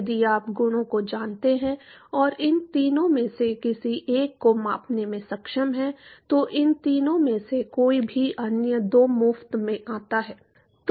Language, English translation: Hindi, If you know the properties and if are able to measure either of these three, anyone of these three the other two comes for free